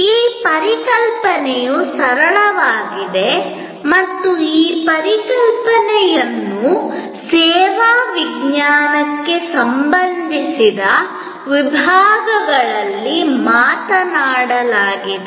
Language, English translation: Kannada, This concept is simple and this concept has been talked about from the disciplines related to service science